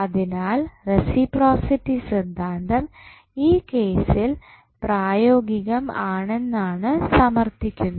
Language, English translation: Malayalam, So, this justifies that the reciprocity theorem is applicable in this particular case